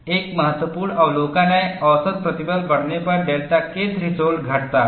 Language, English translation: Hindi, That means, if the mean stress is increased, the delta K threshold comes down